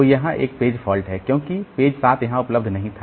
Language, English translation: Hindi, So, there is a page fault here because the page 7 was not there